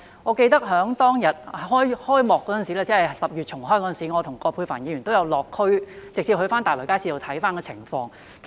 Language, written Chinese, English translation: Cantonese, 我記得當日開幕時——即10月重開時——我和葛珮帆議員也有落區，直接往大圍街市視察情況。, I remember that when the Market reopened in October Ms Elizabeth QUAT and I also visited the district and conducted a site inspection in the Market directly